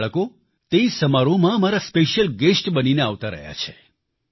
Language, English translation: Gujarati, Those children have been attending the functions as my special guests